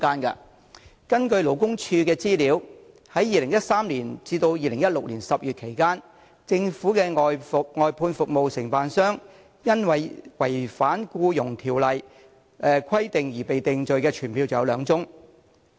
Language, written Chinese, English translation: Cantonese, 根據勞工處的資料，在2013年至2016年10月期間，政府的外判服務承辦商因違反《僱傭條例》的規定而被定罪的傳票有兩宗。, According to the statistics of the Labour Department from 2013 to October 2016 there were two convicted summonses on violation of requirements under the Employment Ordinance against the outsourced service contractors of the Government